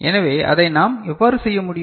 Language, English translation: Tamil, So, how we can do that